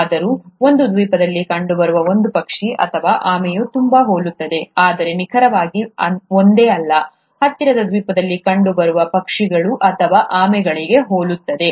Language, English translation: Kannada, Yet, a bird or a tortoise seen in one island was very similar, though not exactly the same, was very similar to the birds or the tortoises found in the nearest island